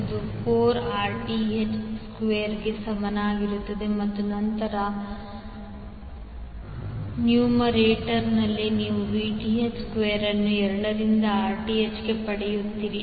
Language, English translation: Kannada, This will be equal to 4Rth square and then in numerator you will get Vth square into Rth by 2